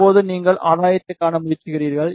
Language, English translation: Tamil, Now, you try to see the gain